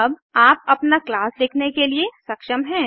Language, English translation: Hindi, To now be able to write your own class